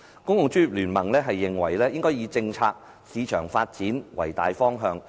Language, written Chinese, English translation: Cantonese, 公共專業聯盟認為應以政策、市場發展為大方向。, The Professional Commons considers that the major direction should comprise policies and market growth